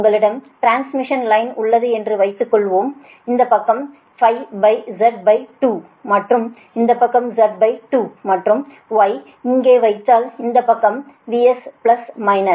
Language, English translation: Tamil, right, suppose you have a transmission line and these side is z by two and this side is z by two, and if you put y here and this side is your v s right plus minus, this side, load is of course there, but this side is a